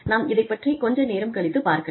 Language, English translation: Tamil, We will talk about these, a little later